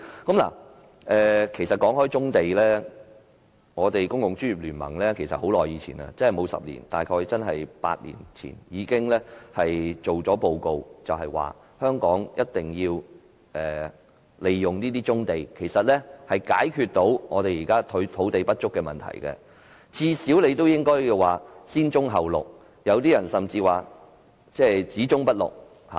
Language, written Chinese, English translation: Cantonese, 談到棕地，公共專業聯盟其實在很久以前，沒有10年，大約8年前已作出報告，就是香港必須利用這些棕地才可解決現時土地不足的問題，最少應該先棕後綠，有些人甚至說只棕不綠。, Regarding brownfield sites The Professional Commons compiled a report long ago about eight years ago less than a decade . It proposed that Hong Kong must use brownfield sites to solve the problem of land shortage . At least brownfield sites must be developed before to Green Belt sites